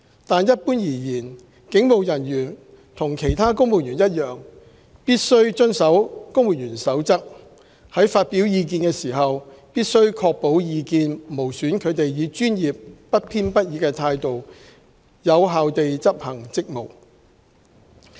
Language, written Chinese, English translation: Cantonese, 但一般而言，警務人員和其他公務員一樣，必須遵守《公務員守則》，在發表意見時必須確保意見無損他們以專業、不偏不倚的態度有效地執行職務。, That said in general police officers like other civil servants are required to comply with the Civil Service Code and when expressing their views they shall ensure that their views would not impede their performance of official duties in a professional and fair manner